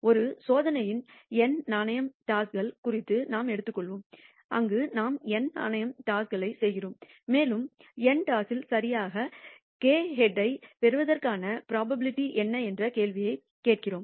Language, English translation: Tamil, Let us take the case of n coin tosses of an experiment where we have do n coin tosses and we are asking the question what is the probability of obtaining exactly k heads in n tosses